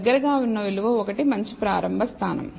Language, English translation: Telugu, A value close to one is a good starting point